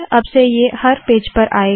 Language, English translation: Hindi, Now this is going to come on every page